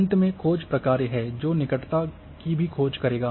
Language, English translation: Hindi, And then finally the search functions, they are also will search the neighbourhood